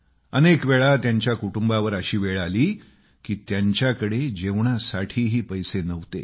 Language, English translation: Marathi, There were times when the family had no money to buy food